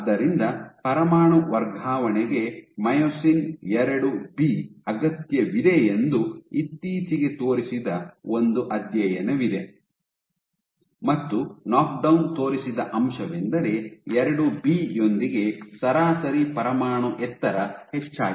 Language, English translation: Kannada, So, there is a study which recently demonstrated that myosin IIB is required for nuclear translocation, and what they showed was when they knocked down, when they knocked down IIB the average nuclear height increased